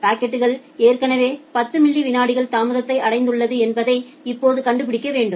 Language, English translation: Tamil, Now it needs to find out that well the packet has already achieved 10 milliseconds of delay